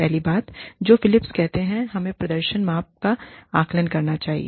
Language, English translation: Hindi, The first thing, that Philips says, we should assess is, the performance measurements